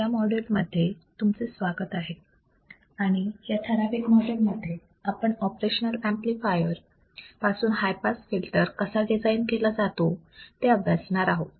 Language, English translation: Marathi, So, welcome to this module and in this particular module, we will see how the high pass filter can be designed using the operational amplifier